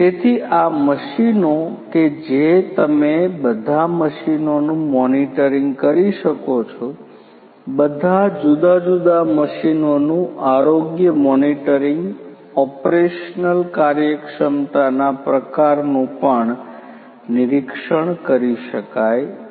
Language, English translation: Gujarati, So, that these machines you can do the monitoring of all the machines the health monitoring of all the different machines the type of the operational efficiency also could be monitored